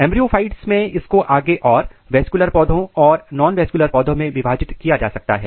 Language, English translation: Hindi, In embryophytes this can be further divided into vascular plants and nonvascular plants